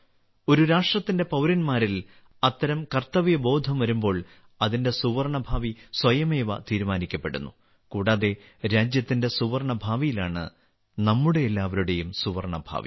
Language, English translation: Malayalam, When such a sense of duty rises within the citizens of a nation, its golden future is automatically ensured, and, in the golden future of the country itself, also lies for all of us, a golden future